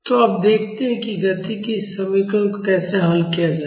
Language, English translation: Hindi, So, now, let us see how to solve this equation of motion